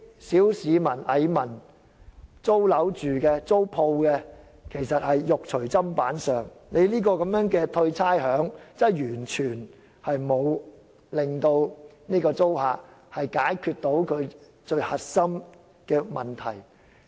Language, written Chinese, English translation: Cantonese, 小市民、蟻民、住宅租客和商鋪租戶其實是"肉隨砧板上"，寬減差餉完全沒有令租客得以解決最核心的問題。, The general public the powerless mass the tenants of residential properties and shops have actually become meat on the chopping board . The rates concession measure cannot help tenants solve the most important problem